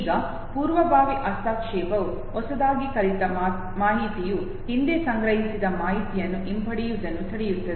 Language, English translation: Kannada, Now proactive interference would be a situation where newly learned information it prevents the retrieval of the previously stored information